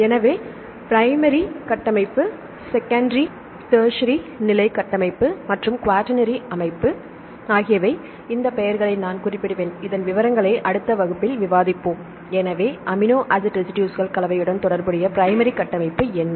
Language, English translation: Tamil, So, primary structure, secondary structure, tertiary structure and the quaternary structure just I will mention these names and we will discuss the details in the next class right So, what is the primary structure primary structure deals with the combination of amino acid residuals